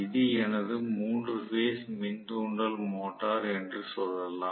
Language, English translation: Tamil, So, let us say this is my 3 phase induction motor